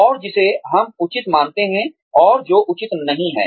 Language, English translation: Hindi, And, what we consider, as appropriate, and not so appropriate